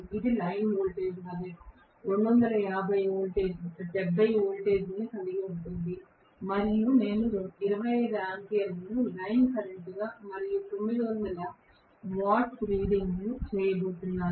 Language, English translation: Telugu, It has 270 volts as the line voltage and I am going to have 25 amperes as the line current and about 9000 watts is the reading, okay